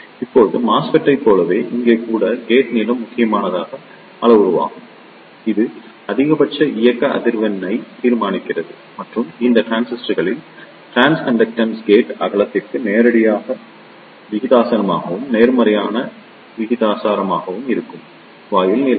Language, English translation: Tamil, Now, in the same way as it was the case of as MESFET, here also the gate length is the critical parameter and this decides the maximum operating frequency and in these transistors, the trans conductance is directly proportional to the gate width and inversely proportional to the gate length